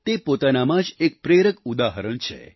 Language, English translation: Gujarati, These are inspirational examples in themselves